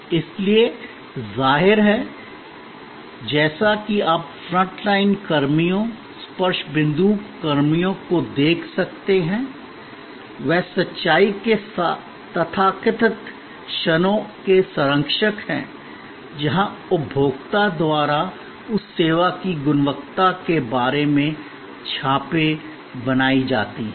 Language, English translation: Hindi, So; obviously, as you can see the front line personnel, the touch point personnel, they are the custodians of the so called moments of truth, where impressions are formed by the consumer about the quality of that service